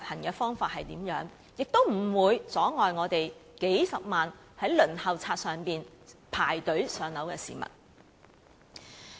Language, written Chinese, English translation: Cantonese, 亦應表明不會阻礙數十萬在輪候冊上等候"上樓"的市民。, It should also state explicitly that it will not hinder the hundreds of thousands of applicants waitlisted for PRH allocation